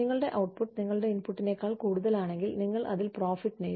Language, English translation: Malayalam, If your output is more than your input, then you made a profit on it